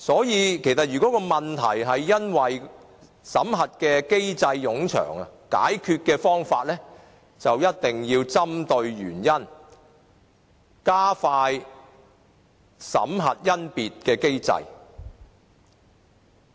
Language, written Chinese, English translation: Cantonese, 因此，如果問題是因為審核機制冗長，解決的方法就一定要針對原因，加快審核甄別的機制。, For that reason if the problem is due to the lengthy examination and screening mechanism the solution should be focus on the cause and speed up the examination and screening mechanism